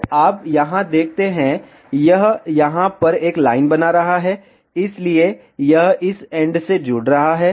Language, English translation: Hindi, So, you see here, it is creating a line over here, so it is connecting at this end